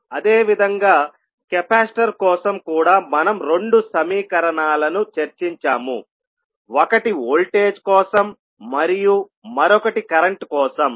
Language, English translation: Telugu, Similarly for capacitor also we discussed that we will have the two equations one for voltage and another for current